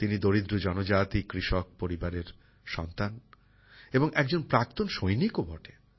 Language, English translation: Bengali, He comes from a poor tribal farmer family, and is also an exserviceman